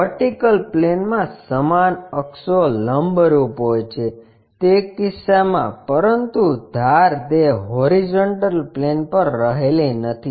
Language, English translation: Gujarati, In case same axis perpendicular to vertical plane, but edges it is not just resting on horizontal plane